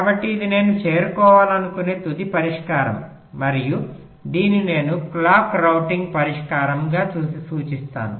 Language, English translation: Telugu, so this is the final solution i want to, i want to arrive at, and this i refer to as the clock routing solution